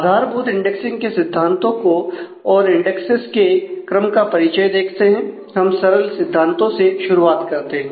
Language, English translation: Hindi, So, introduction of the basic indexing concepts and the order indices and we start with the basic concepts